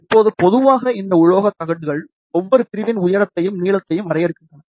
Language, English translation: Tamil, Now, generally speaking these metallic plates are defined by the height and the length of each section ok